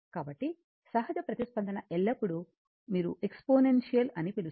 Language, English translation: Telugu, So, natural response is always a decaying your what you call exponential, right